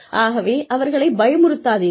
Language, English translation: Tamil, So, do not scare them